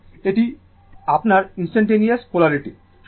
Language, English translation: Bengali, And this is your instantaneous polarity